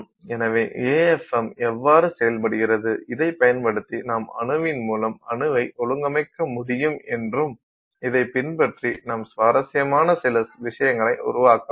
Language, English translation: Tamil, So, this is how the AFM works and using this you could arrange things atom by atom and then you can create something that is interesting